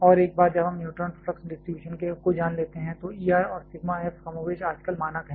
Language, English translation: Hindi, And once we know the neutron flux distribution the knowledge about E R and sigma f are more or less standard now a days